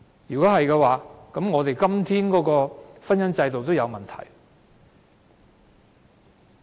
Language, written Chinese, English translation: Cantonese, 若然如此，我們現今的婚姻制度也有問題。, If this is the case our prevailing marriage institution is problematic too